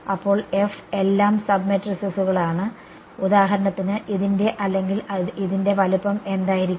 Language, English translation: Malayalam, So F are all sub matrices, F A A are sub matrices what will be the size of for example this or this